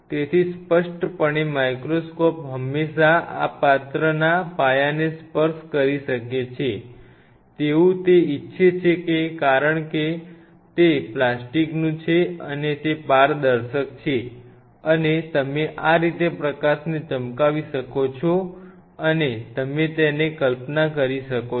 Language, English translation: Gujarati, So obviously, the microscope can always touch the base of this vessel, it wants microscope objective can touch the base of those vessel because it is plastic right and it is transparent, and you can shine the light through this path and you can visualize it